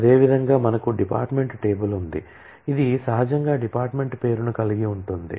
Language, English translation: Telugu, Similarly, we have a department table which naturally has a department name